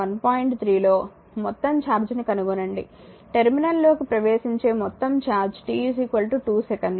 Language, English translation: Telugu, 3 determine the total charge entering a terminal between t is equal to 2 second and t is equal to 4 second